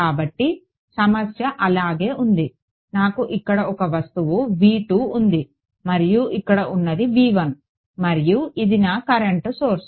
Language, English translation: Telugu, So, the problem remains the same I had some object V 2 over here and some V 1 and this was my current source over here